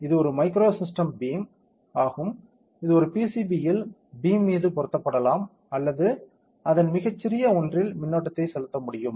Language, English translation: Tamil, It is a micro system beam that beam can be mounted like this on a pcb or something its very small that can pay currents